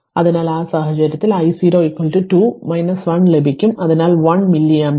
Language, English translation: Malayalam, So, in that case you will get i 0 is equal to 2 minus 1, so 1 milli ampere